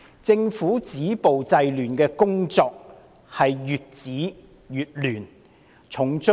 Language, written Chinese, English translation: Cantonese, 政府止暴制亂的工作，可說是越止越亂。, The Governments attempts to stop violence and curb disorder have only brought about more chaos